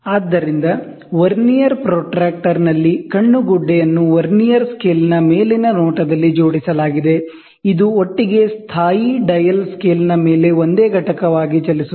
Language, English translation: Kannada, So, in Vernier protractor, the eyepiece is attached on the top view of the Vernier scale itself, which together moves as a single unit over the stationary dial scale